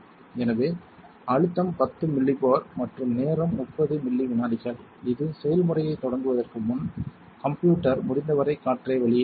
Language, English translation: Tamil, So, the pressure to 10 Millipore and the time to 30 milli seconds this will cause the system to evacuate as much air as possible before starting the process